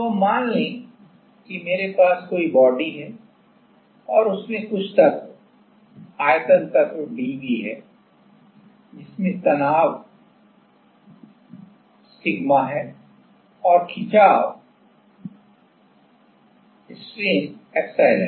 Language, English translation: Hindi, So, now, let us say I have some body and in that there is some element volume element dV which is having stress as sigma and strain is epsilon